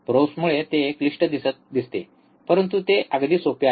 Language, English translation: Marathi, Because of because of probes, it looks complicated it is very simple